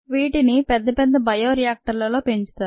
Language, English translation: Telugu, these are grown in large bioreactors